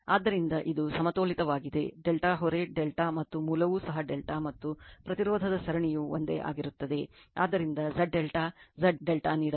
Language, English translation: Kannada, So, this is your balanced delta load is delta and source is also delta and series of impedance remains same right So, Z delta Z delta is given right